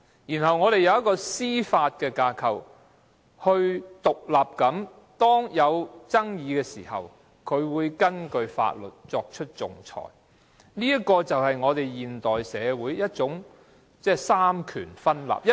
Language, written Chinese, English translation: Cantonese, 此外，我們還有司法架構，可以在出現爭議時根據法律獨立地作出仲裁，而這正是現代社會的三權分立。, In addition we also have the judicial framework so that we can arbitrate independently under the law in case of any disputes . This is indeed the separation of powers in modern society